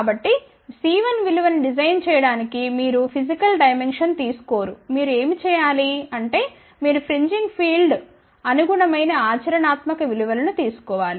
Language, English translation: Telugu, So, you do not take the physical dimension to realize the value of C 1, what you have to do it is you have to take the practical values corresponding to the fringing field, ok